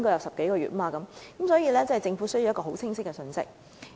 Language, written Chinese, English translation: Cantonese, 所以，政府必須發出清晰的信息。, Hence the Government must convey a clear message to the public